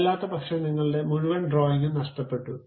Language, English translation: Malayalam, So, now, entire drawing you has been lost